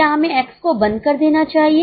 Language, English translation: Hindi, Is it better to close X